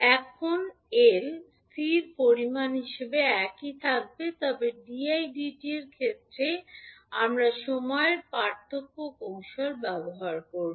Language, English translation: Bengali, Now, l will remain same being a constant quantity, but in case of dI by dt we will use time differentiation technique